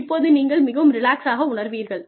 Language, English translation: Tamil, And, you will feel, so much more comfortable